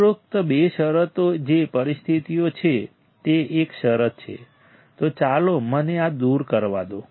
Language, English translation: Gujarati, The above two conditions which are conditions condition one, so let me remove this